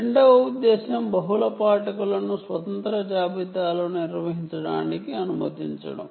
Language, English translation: Telugu, the second purpose is to allow multiple readers to conduct independent inventories